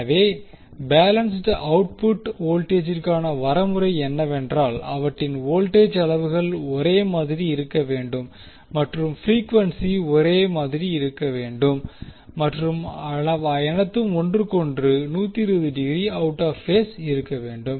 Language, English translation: Tamil, So, the criteria for balanced voltage output is that the voltage magnitudes should be same frequency should be same and all should be 120 degree apart from each other